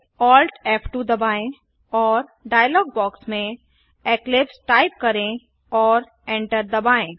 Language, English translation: Hindi, Press Alt ,F2 and in the dialog box type eclipse and hit enter